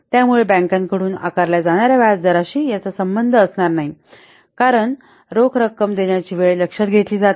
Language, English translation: Marathi, So it does not bear any relationship to the interest rates which are charged by the banks since it doesn't take into account the timing of the cash flows